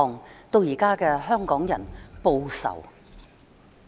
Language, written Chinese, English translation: Cantonese, "，演變成現在的"香港人，報仇！, and to the present Hongkongers retaliate!